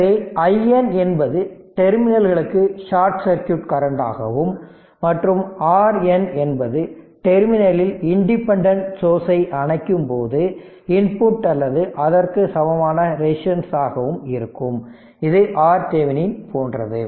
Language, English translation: Tamil, So, where i N is short circuit current to the terminals that will give and R n is equal to input or equivalent resistance at the terminal when the independent sources are turned off right it is same like your R Thevenin is equal to R Norton